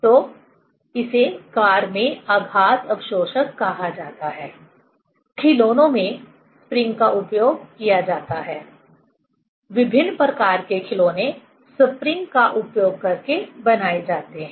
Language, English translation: Hindi, So, this is called shock absorber in car; in toys, spring is used; different kind of toys are made using the spring